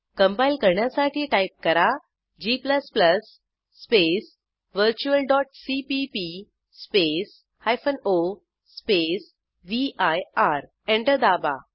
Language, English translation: Marathi, To compile type: g++ space virtual.cpp space o space vir